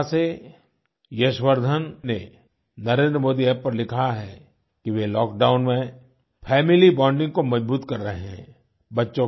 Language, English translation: Hindi, Yashvardhan from Kota have written on the Namo app, that they are increasing family bonding during the lock down